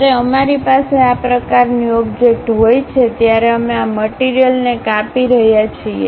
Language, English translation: Gujarati, When we have such kind of object we are chopping this material